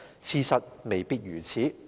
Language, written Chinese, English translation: Cantonese, 事實未必如此。, This is not necessarily the case